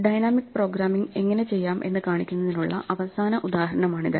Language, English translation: Malayalam, This is a final example to illustrate dynamic programming